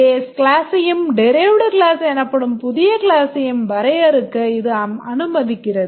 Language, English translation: Tamil, It allows us to define a new class called as a derived class by extending the base class